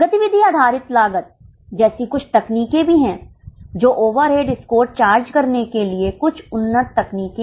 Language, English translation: Hindi, There are also some techniques like activity based costing which are little advanced techniques for charging of over rates